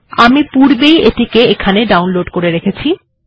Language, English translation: Bengali, I have already downloaded it here